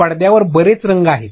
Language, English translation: Marathi, The screen itself has too many colors on it